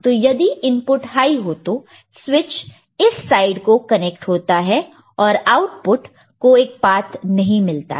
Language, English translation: Hindi, So, if input is high the switch connects to this side and the output does not get a path